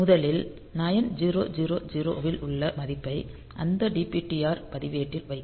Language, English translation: Tamil, So, we first of all MOV the value 9000 to that dptr register ok